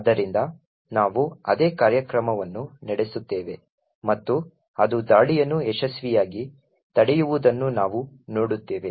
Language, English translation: Kannada, So, we would run the same program and we see that it has successfully prevented the attack